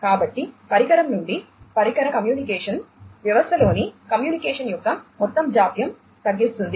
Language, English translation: Telugu, So, device to device communication will cut down on the overall latency of communication in the system